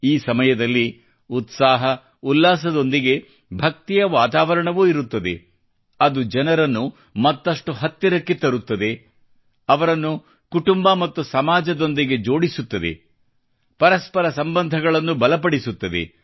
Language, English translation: Kannada, During this time, there is an atmosphere of devotion along with pomp around, which brings people closer, connects them with family and society, strengthens mutual relations